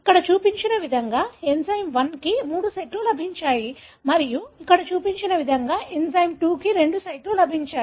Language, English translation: Telugu, Enzyme 1 has got three sites as shown here and enzyme 2 has got two sites as shown here